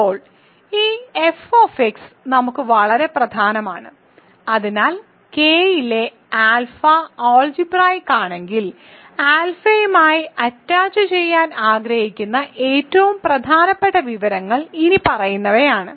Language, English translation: Malayalam, So, now this f x is very important for us, so if alpha is algebraic if alpha in K is algebraic over F the most important information that we want to attach to alpha is the following